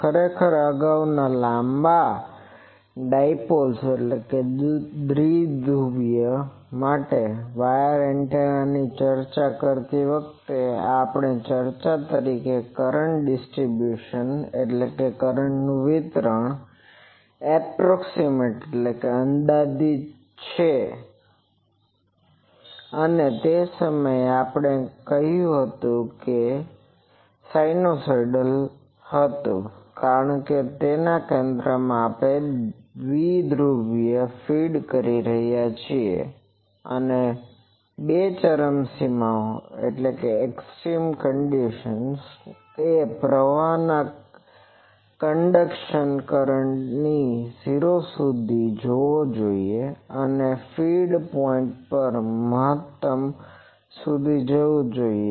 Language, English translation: Gujarati, Actually, earlier while discussing wire antenna for long dipoles we discuss that the current distribution is approximately or that time we said that it was sinusoidal, because if we are feeding the dipole at the center, and the currents conduction current should go to 0 at the two extremes, and at the feed point that should go to maximum